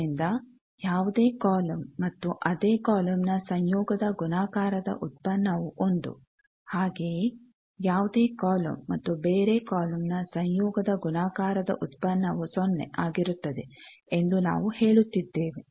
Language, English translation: Kannada, So, that we are saying the dot product of any column and the conjugate of the same column is unity dot product of any column and the conjugate of a different column is 0